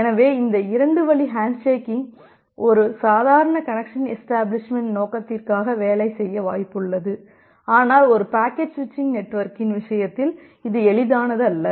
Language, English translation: Tamil, So this 2 way hand shaking is likely to work for a normal connection establishment purpose, but our life is not very simple in case of a packet switching network